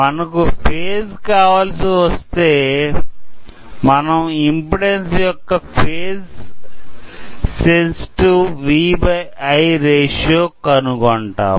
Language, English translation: Telugu, So, to get the phase or the proper impedance with phase, we will be doing phase sensitive V by I ratio to get the impedance